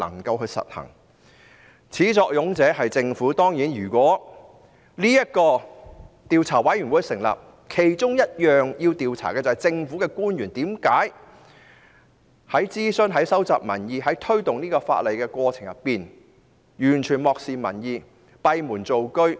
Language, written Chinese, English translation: Cantonese, 事情的始作俑者當然是政府，因此如果成立專責委員會，其中要調查的便是為何在諮詢、收集民意及推動修例的過程中，政府官員完全漠視民意、閉門造車。, The main culprit of the matter is certainly the Government therefore if a select committee is to be formed investigation should be conducted amongst others on why government officials had totally ignored public opinions and worked behind closed door during the process of consultation collection of public opinions and introduction of legislative amendments